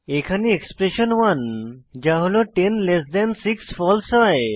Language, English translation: Bengali, Here, expression1 that is 106 is false